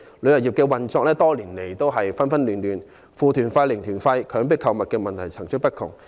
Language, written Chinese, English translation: Cantonese, 旅遊業多年來運作紛亂，"負團費"、"零團費"、強迫購物等問題層出不窮。, Problems such as negative - fare tour zero - fare tour and coerced shopping have emerged one after another